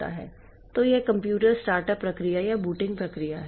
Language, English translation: Hindi, So, this is the computer startup process or the booting process